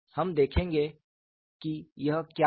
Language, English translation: Hindi, We will see what it is